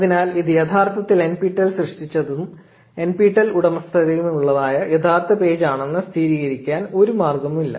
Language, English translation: Malayalam, So, there is no way to really confirm that this is truly the genuine actual NPTEL page created and owned by NPTEL